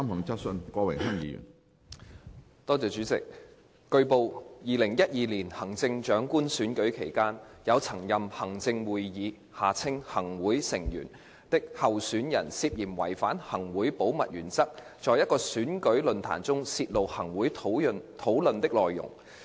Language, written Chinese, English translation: Cantonese, 主席，據報 ，2012 年行政長官選舉期間，有曾任行政會議成員的候選人涉嫌違反行會保密原則，在一個選舉論壇中泄露行會討論的內容。, President it has been reported that during the 2012 Chief Executive Election a candidate who was a former Member of the Executive Council ExCo allegedly violated ExCos principle of confidentiality by divulging at an election forum the deliberations of ExCo